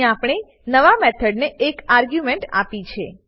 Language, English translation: Gujarati, Here we have given an argument to the new method